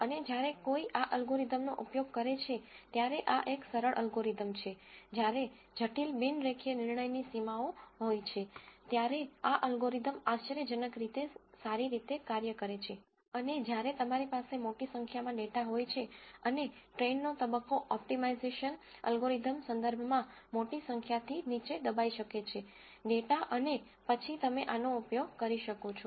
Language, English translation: Gujarati, And when does one use this algorithm, this is a simple algorithm when there are complicated non linear decision boundaries, this algorithm actually works surprisingly well, and when you have large amount of data and the train phase can be bogged down by large number of data in terms of an optimization algorithm and so on then you can use this